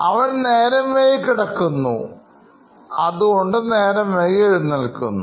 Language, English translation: Malayalam, So he comes to class late because he woke up late